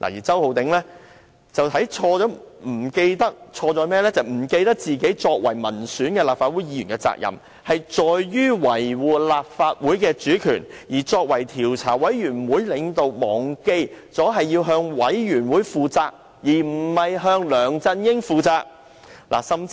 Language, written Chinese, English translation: Cantonese, 周浩鼎議員則錯在忘記自己作為民選立法會議員的責任，要維護立法會的主權，而作為專責委員會的領導，他忘記了自己不是向梁振英而是向委員會負責。, On Mr Holden CHOWs part he was wrong because he had forgotten that as an elected Member of the Legislative Council his should be duty - bound to safeguard the autonomy of the Legislative Council and that as the leader of the Select Committee he had forgotten that he was accountable to the Select Committee and not LEUNG Chun - ying